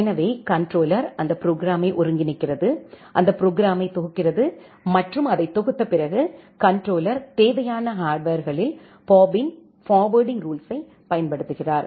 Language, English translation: Tamil, So, the controller combines that program, compiles that program and after compiling the program, the controller simply deploys Bob’s forwarding rule in the required hardwares